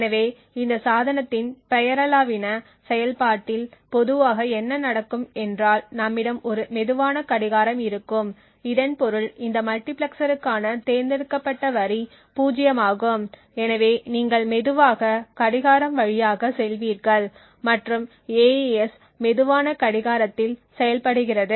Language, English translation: Tamil, So what would typically happen in the nominal operation of this device is that we would have a slow clock which is passed through so this means that the select line for this multiplexer is zero and therefore you would have a slow clock passing through this and AES is operational on a slow clock